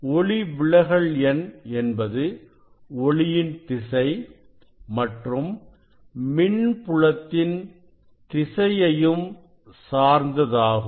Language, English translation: Tamil, refractive index velocity of light depends on the direction of light as well as direction of electric field